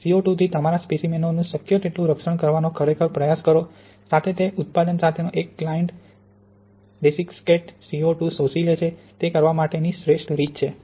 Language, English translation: Gujarati, Really try to protect your samples as much as possible from CO2; storing in a desiccator with a client, with a product that absorbs CO2 is the best way to do that